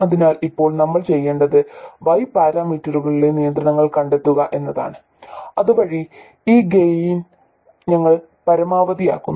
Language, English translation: Malayalam, So, now what we want to do is find out the constraints on Y parameters so that we maximize this gain